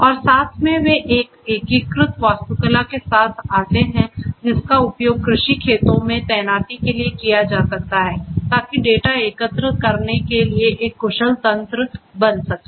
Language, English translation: Hindi, And together they come up with an integrated architecture which can be used for deployment in agricultural farms in order to have an efficient mechanism for collecting data